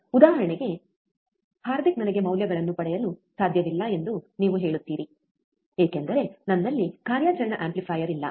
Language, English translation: Kannada, For example, you say that, Hardik, I cannot I cannot get the values, because I do not have the operational amplifiers